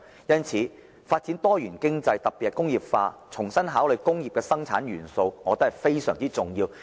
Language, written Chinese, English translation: Cantonese, 因此，發展多元經濟，特別是工業化，重新考慮工業生產元素，我認為是非常重要的。, Therefore in my view it is very important to develop a diversified economy especially re - industrialization and reconsideration of factors of industrial production